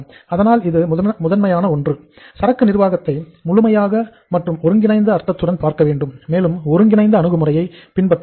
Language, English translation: Tamil, So number 1, we should look at the inventory management in the holistic sense, in the integrated sense, and we should follow a integrated approach